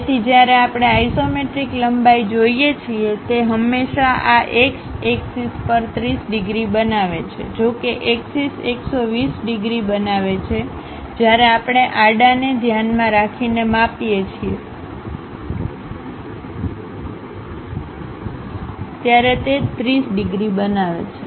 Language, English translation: Gujarati, So, when we are looking at isometric lengths, it always makes on this x axis 30 degrees; though axis makes 120 degrees, but when we are measuring with respect to the horizontal, it makes 30 degrees